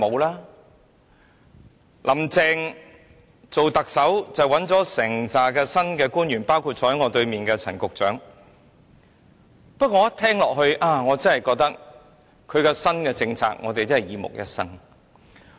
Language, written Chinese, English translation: Cantonese, "林鄭"當特首，找來了一批新官員，包括坐在我對面的陳局長，他的新政策聽起來真的令人"耳目一新"。, After being appointed as the Chief Executive Carrie LAM recruited a new batch of officials including Secretary Frank CHAN sitting opposite me . His new policy really sounds unconventional